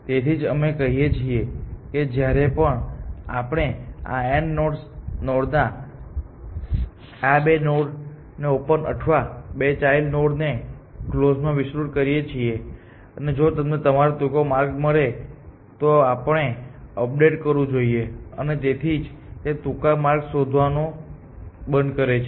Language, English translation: Gujarati, So, which is why we say that whenever we expand this node n for nodes on open like these 2 or for children on closed like these 2; if you have found the shorter path, we must update that essentially and that is 1 reason why it ends of finding the shortest paths essentially